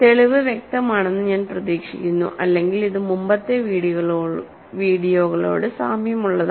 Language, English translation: Malayalam, So, I hope the proof is clear, if not you should just the it is fairly similar to the previous videos